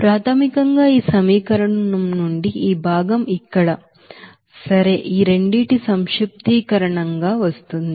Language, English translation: Telugu, Basically from this equation this component will come as here okay, summation of these two